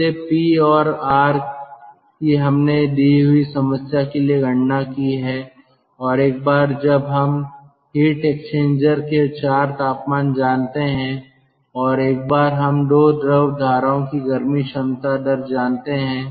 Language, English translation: Hindi, we have calculated for the problem once we know the four temperatures of the heat exchanger and once we know the heat capacity rate of the two fluid streams